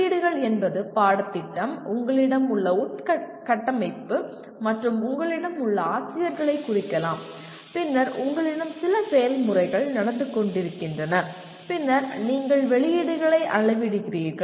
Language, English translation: Tamil, Inputs could mean the curriculum, the kind of infrastructure that you have, and the faculty that you have ,and then with all that you have certain processes going on, and then you measure the outputs